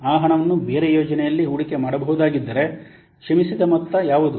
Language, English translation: Kannada, If that money could have been invested in a different project, then what could be the forgone amount